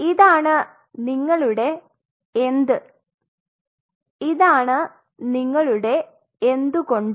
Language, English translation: Malayalam, So, this is your what this is your why